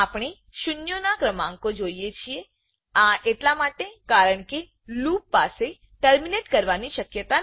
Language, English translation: Gujarati, We can see number of zeros, this is because the loop does not have the terminating condition